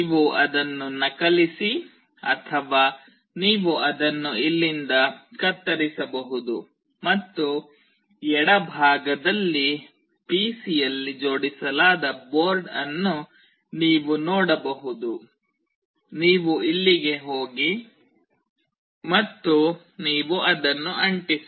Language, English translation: Kannada, You copy it or you can cut it from here, and you can see in the left side is the board which is mounted on the PC; you go here and you paste it